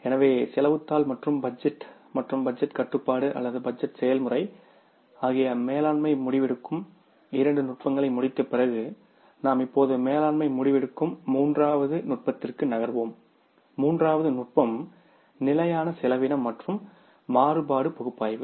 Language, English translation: Tamil, So, after completing the two techniques of management decision making that is the cost sheet and the budget and budgetary control or the budgetary process, we will move now towards the third technique of the management decision making and that third technique is the standard costing and the variance analysis